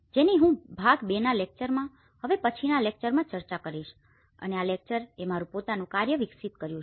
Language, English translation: Gujarati, Which I will be discussing in the next lecture in the part 2 lecture and this lecture is developed my own work